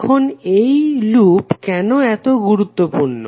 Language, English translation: Bengali, Now, why the loop is important